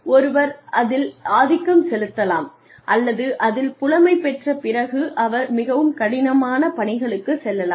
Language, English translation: Tamil, Something that one can gain control or mastery over, and then, move on to more difficult tasks